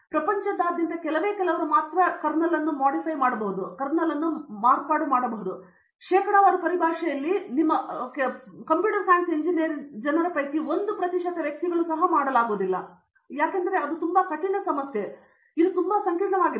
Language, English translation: Kannada, There are very few across the globe who can do, few in the sense in terms of percentage it will not even cost 1 percent of the total computer science engineering people who would be graduated, so because it is very, very complex